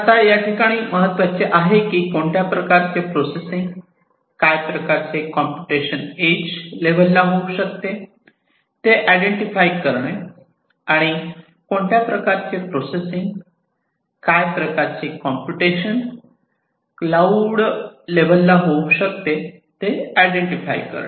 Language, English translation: Marathi, Now, what is important is to identify which type of processing, what computation will be done at the edge, which processing, what computation will be done at the cloud